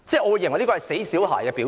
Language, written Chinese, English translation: Cantonese, 我認為這是"死小孩"的表現。, As I see it this is the behaviour of a bratty child